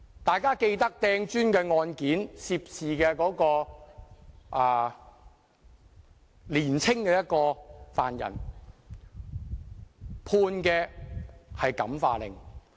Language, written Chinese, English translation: Cantonese, 大家記得擲磚的案件，涉事的年青犯人被判感化令。, Members should recall the case of a protester hurling bricks in which the young defendant was given a probation order